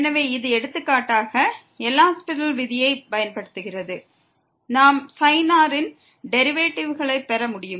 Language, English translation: Tamil, So, this is using the for example, L Hopital’s rule we can get the derivative of sin